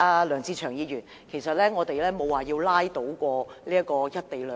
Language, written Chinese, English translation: Cantonese, 梁志祥議員，我們沒有說過要拉倒"一地兩檢"。, Mr LEUNG Che - cheung we have not indicated any intention to bog down the co - location arrangement